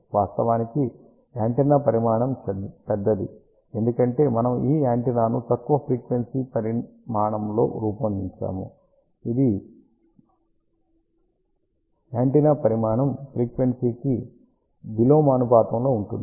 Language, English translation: Telugu, Of course, the antenna size is large, because we have designed this antenna at low frequency antenna size is inversely proportional to the frequency